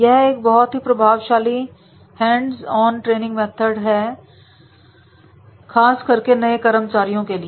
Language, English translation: Hindi, It is a very effective hands on method for the training the special in new entrance